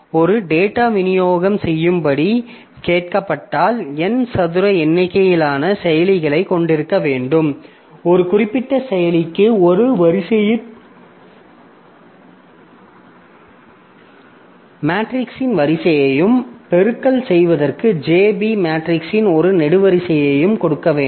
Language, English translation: Tamil, So, if you are asked to do a data distribution then ideally I should have n square number of processors and for a particular processor I should give one row of a matrix and one column of B matrix for doing the multiplication